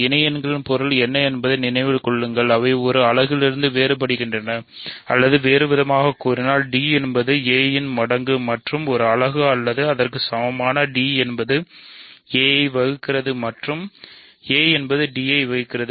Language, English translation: Tamil, Remember what is the meaning of associates they either differ by a unit or in other words d is a multiple of a and a unit or equivalently d divides a and a divides d